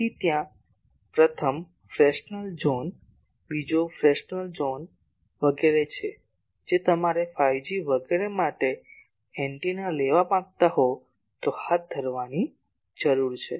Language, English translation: Gujarati, So, there are first Fresnel zone, second Fresnel zone etc that needs to be carried out if you want to have an antenna for that 5G etc